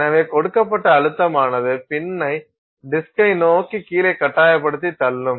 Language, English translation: Tamil, So, pressure applied, the pressure with which you are forcing the pin down on the disk